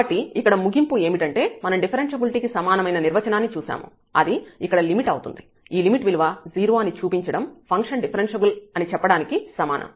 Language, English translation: Telugu, So, the conclusion here, we have what we have seen, we have seen the differentiability an equivalent definition which is the limit here, showing to 0 is equivalent to saying that the function is differentiable